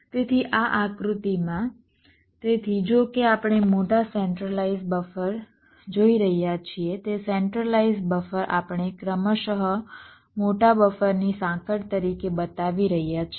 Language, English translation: Gujarati, so although we are seeing big centralized buffer, that centralized buffer we are showing as a chain of progressively larger buffer